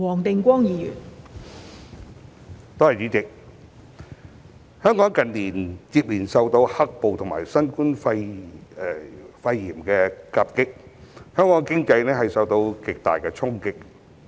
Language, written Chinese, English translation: Cantonese, 代理主席，本港近年接連受到"黑暴"及新冠肺炎疫情夾擊，經濟受到極大衝擊。, Deputy President Hong Kongs economy has been hard hit after being dealt double blow by black - clad violence and the Coronavirus Disease 2019 successively in recent years